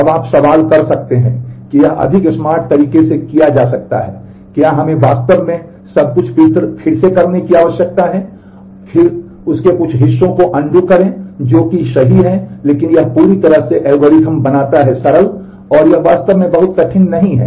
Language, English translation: Hindi, Now you can question that this could have been done in a more smart way, do we really need to redo everything and then undo some parts of that, that is a override in terms of that which is true, but this just makes the whole algorithm simple and over it actually is not very hard